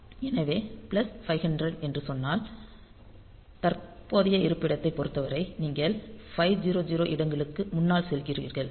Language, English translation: Tamil, So, if I say plus 500; so, with respect to current location, you go forward by 500 locations